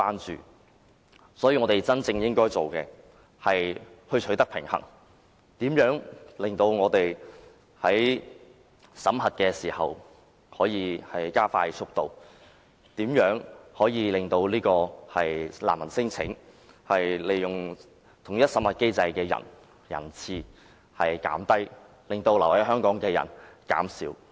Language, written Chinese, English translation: Cantonese, 所以，我們真正應該做的是求取平衡，探討怎樣加快審核的速度，令提出難民聲請和統一審核機制的使用人次降低，減少因此而滯留香港的人士。, Therefore what we should really do is to strike a balance examine what measures we should adopt to expedite the screening process and reduce the number of refugee claimants as well as users of the unified screening mechanism thereby reducing the number of people stranded accordingly in Hong Kong